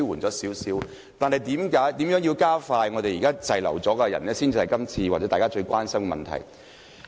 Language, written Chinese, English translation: Cantonese, 但是，如何加快處理現時滯留在港的人士，應是大家今天最關心的問題。, However I think we should now be most concerned about how we could expedite the processing of cases relating to people currently stranded in Hong Kong